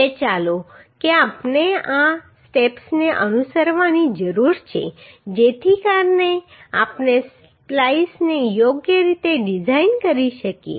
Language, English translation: Gujarati, Now let us see what are the steps we need to follow so that we can design the splice properly